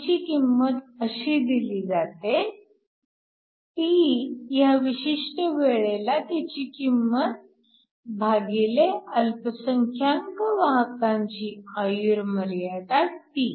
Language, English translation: Marathi, And this is given by the value at a particular time t divided by the minority carrier lifetime τ